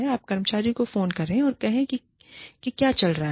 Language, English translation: Hindi, You call the employee, and say, what is going on